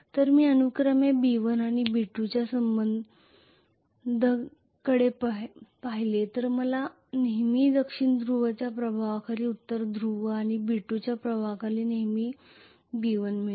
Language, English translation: Marathi, So if I look at the affiliation of B1 and B2 respectively I am going to have always B1 under the influence of North Pole and B2 under the influence of South Pole